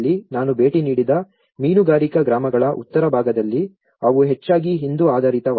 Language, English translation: Kannada, In the northern side of the fishing villages which I have visited they are mostly Hindu oriented